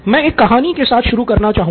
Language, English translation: Hindi, Let me start out with a story